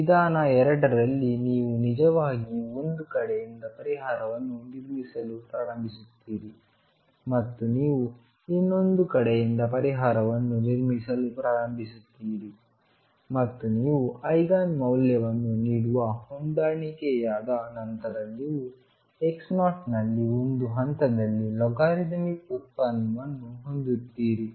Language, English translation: Kannada, In method 2, you actually start building up the solution from one side you start building up the solution from the other side and you match a logarithmic derivative at some point x 0 once that matches that gives you the Eigen value